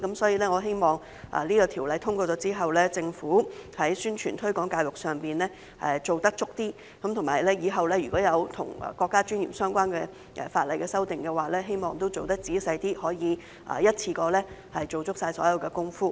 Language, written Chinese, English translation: Cantonese, 所以，我希望《條例草案》通過後，政府在宣傳和推廣教育上做得充足一點；日後若有與國家尊嚴相關的法例修訂時，我希望也可以做得仔細一點，可以一次過做足所有工夫。, Therefore I hope that the Government will make more thorough efforts in publicity and education after the passage of the Bill and do all the work in one go while paying more attention to details in the event of any legislative amendment related to national dignity in future